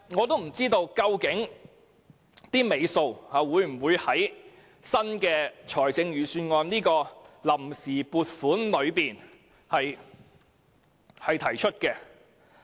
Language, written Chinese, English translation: Cantonese, 但是，究竟工程"尾數"會否納入新年度預算案中的臨時撥款，實在無從得知。, However it remains unknown whether the outstanding balances of the works will be entered in the Budget for the next year